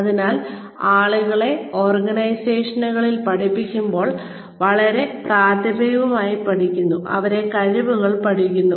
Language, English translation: Malayalam, So, when people are taught in organizations, they are taught primarily, they are taught skills